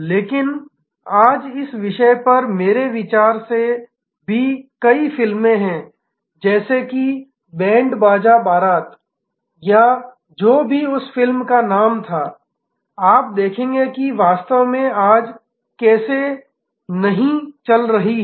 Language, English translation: Hindi, But, today there are number of even movies I think on the subject, like that Band Baaja, Baraat or whatever was the name of that movie, you will see how they are not actually operating today